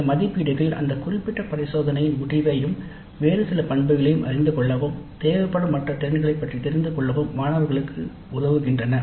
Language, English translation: Tamil, Now these assessments help the students know the outcome of that particular experiment as well as maybe some other attributes and skills that are required